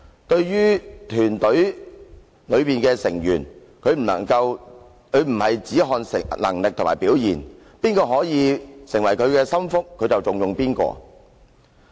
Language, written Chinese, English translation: Cantonese, 對於團隊裡的成員，他不看能力和表現；誰可以給他收納為心腹，他就重用誰。, For members of the team he disregards ability and performance and he puts his confidants in important positions